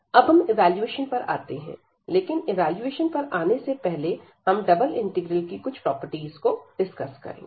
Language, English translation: Hindi, So, coming further now for the evaluation part, before we go to the evaluation let us discuss some properties of the double integrals